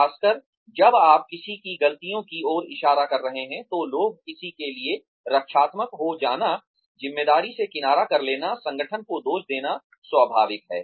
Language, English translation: Hindi, Especially, when you are pointing out, somebody's mistakes, people will, it is natural for anyone, to get defensive, to shrug off the responsibility, to pin the blame, on the organization